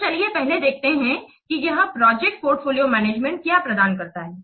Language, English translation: Hindi, So let's first see what this project portfolio management provides